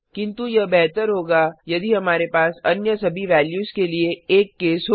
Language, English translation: Hindi, But it would be better if we could have a case for all other values